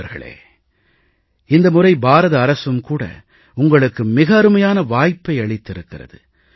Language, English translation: Tamil, Friends, this time around, the government of India has provided you with a great opportunity